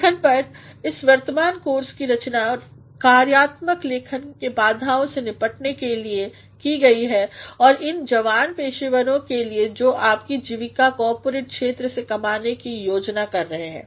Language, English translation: Hindi, The present course on writing is designed to address the issues of functional writing for those aspiring young professionals who plan to earn their livelihood in the corporate sector